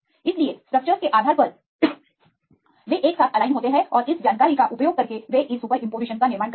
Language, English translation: Hindi, So, based on the structures they align together and using this information they will construct this superimposition